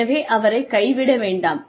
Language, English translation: Tamil, So do not abandon the learner